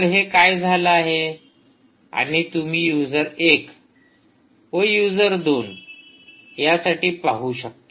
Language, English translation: Marathi, so thats what has happened and you can see that it has appeared for user one and it has also appeared for user two